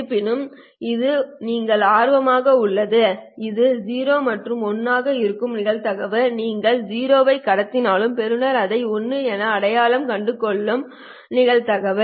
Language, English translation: Tamil, The probability that so this is 0 and 1 the probability that the receiver has identified it as a 1 although you transmitted a 0